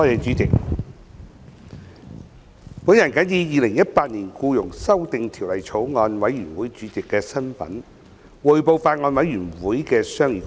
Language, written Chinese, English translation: Cantonese, 主席，我謹以《2018年僱傭條例草案》委員會主席的身份，匯報法案委員會的商議工作。, President in my capacity as Chairman of the Bills Committee on Employment Amendment Bill 2018 I report the deliberations of the Bills Committee